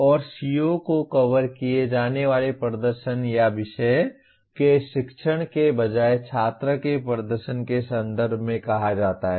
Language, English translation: Hindi, And is the CO stated in terms of student performance rather than teaching performance or subject matter to be covered